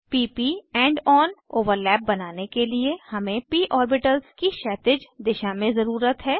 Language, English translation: Hindi, To form p p end on overlap, we need p orbitals in horizontal direction